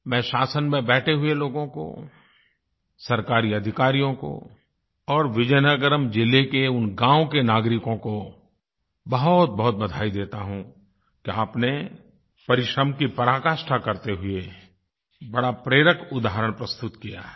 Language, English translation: Hindi, I congratulate the people in the government, government officials and the citizens of Vizianagaram district on this great accomplishment of achieving this feat through immense hard work and setting a very inspiring example in the process